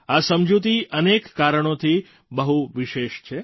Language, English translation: Gujarati, This agreement is special for many reasons